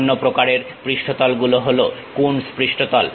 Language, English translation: Bengali, The other kind of surfaces are Coons surfaces